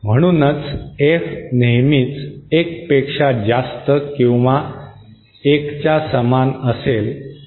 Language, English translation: Marathi, Therefore F will always be greater than or equal to 1